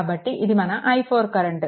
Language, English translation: Telugu, So, this is your i 1